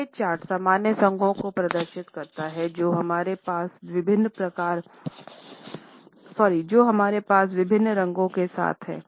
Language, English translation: Hindi, This chart displays the normal associations which we have with different colors